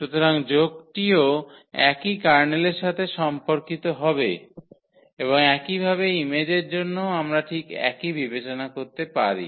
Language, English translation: Bengali, So, the sum is addition will be also belong to the same kernel here and similarly for the image also we can consider exactly the exactly the same consideration